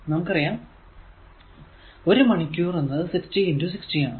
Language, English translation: Malayalam, So, 1 hour is equal to 60 into 6